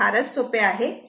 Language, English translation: Marathi, It is simple thing